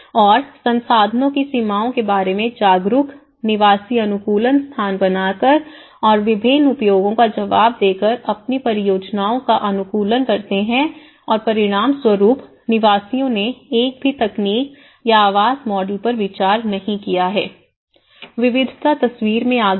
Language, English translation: Hindi, And, conscious about the limitations of the resources, residents optimize their projects by creating flexible spaces and responding to various uses and as a result, residents have not considered one single technology or a housing model, there is a diversity come into the picture